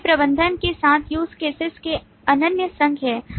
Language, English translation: Hindi, So these are the exclusive associations of use cases with the manager